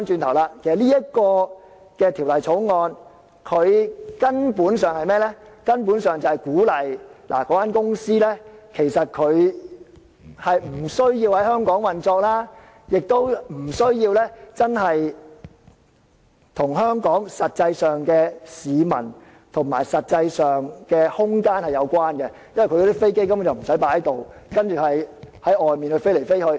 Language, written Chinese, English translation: Cantonese, 但是，現在反過來，這《條例草案》根本鼓勵這些公司不需要在香港運作，亦不需要跟香港市民或空間有實際關係，因為他們的飛機不需要停泊在這裏，而是四處飛行。, But now contrary to our views the Bill actually encourages these companies not to operate in Hong Kong not to develop real connections with the people nor the territory of Hong Kong as these globe - flying aircraft need not park here